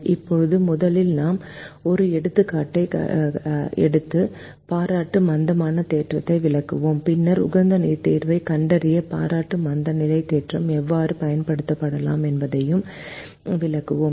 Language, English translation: Tamil, now, first we will take an example and explain the complimentary slackness theorem, and then we will also explain how the complimentary slackness theorem can be used to find the optimum solution